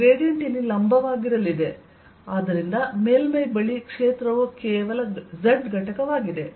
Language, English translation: Kannada, the gradient is going to be perpendicular here and therefore near the surface the field is only z component